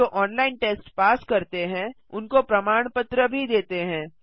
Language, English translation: Hindi, Also gives certificates to those who pass an online test